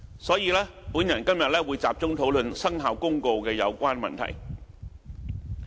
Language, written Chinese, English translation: Cantonese, 所以，我今天會集中討論《生效公告》的有關問題。, Hence today I will focus on discussing issues related to the Commencement Notice